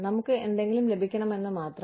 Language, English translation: Malayalam, We just want to have, something